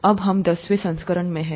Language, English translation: Hindi, Now we are in the tenth edition